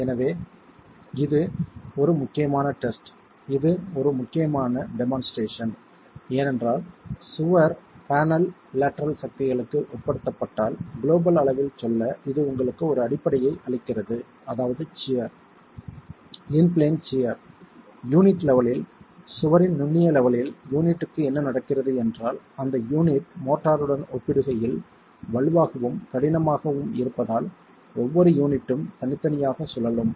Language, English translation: Tamil, So, it's an important test, it's an important demonstration because it then gives you a basis to say globally if the wall panel is subjected to lateral forces which is shear, plain shear at the level of the unit, at the micro level of the wall, what's happening to the unit is that because of the unit being stronger and rigid in comparison to the motor, each unit is individually rotating